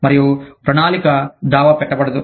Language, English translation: Telugu, And, planning cannot be sued